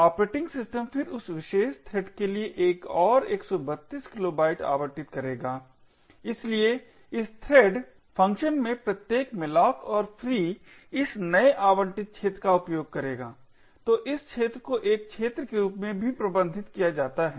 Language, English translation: Hindi, The operating system would then allocate another 132 kilobytes for that particular thread, so every malloc and free in this thread function will use this newly allocated region right, so this region is also managed as an arena